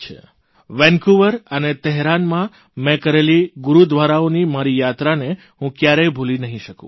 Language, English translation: Gujarati, I can never forget my visits to Gurudwaras in Vancouver and Tehran